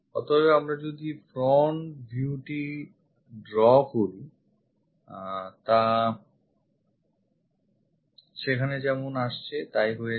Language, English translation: Bengali, So, if we are drawing the front view turns out to be this one comes there